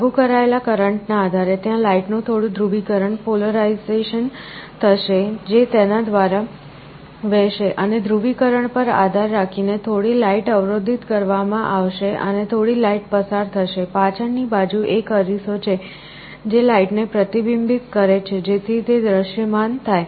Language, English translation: Gujarati, Depending on the applied current, there will be some polarization of the light that will be flowing through it and depending on the polarization some light will be blocked and some light will pass through; there is a mirror in the backside, which reflects the light so that it is visible